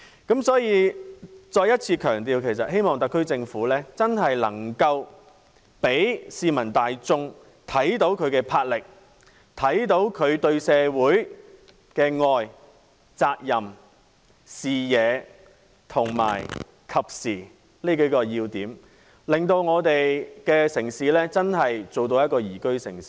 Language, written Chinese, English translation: Cantonese, 因此，我再一次強調，希望特區政府真正能夠讓市民大眾看到它的魄力，看到它對社會的愛、責任，具備視野和適時性這幾個要點，使我們的城市真正成為一個宜居城市。, I therefore emphasize once again that I hope the SAR Government will show the public its determination and commitment its love and responsibility for the community its vision and timeliness in its actions so as to make our city a truly liveable city